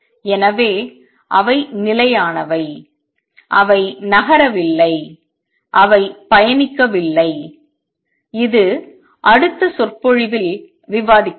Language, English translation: Tamil, So, they are stationary they not move they are not traveling which will discuss in the next lecture